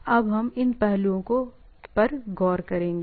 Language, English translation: Hindi, That will, we will look into these aspects